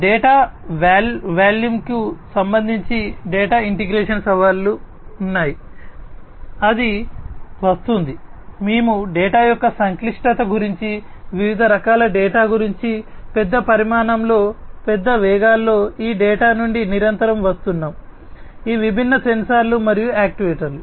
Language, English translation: Telugu, There are data integration challenges, data integration challenges with respect to the volume of data, that is coming in, we are talking about the complexity of the data, the variety of data, that is coming in, a huge volumes, in large velocities continuously these data is coming from these different sensors and actuators